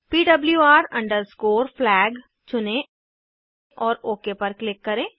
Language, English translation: Hindi, Choose PWR FLAG and click on OK